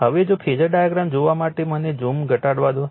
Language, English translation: Gujarati, Now,now if you if you look at the phasor diagram let us let me let me reduce the zoom , right